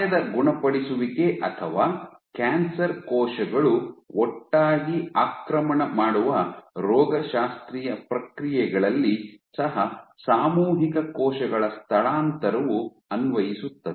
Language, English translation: Kannada, So, collective cell migration is applicable to let us say wound healing or even in pathological processes where cancer cells invade collectively